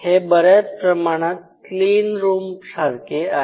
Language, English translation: Marathi, So, the whole concept is like a clean room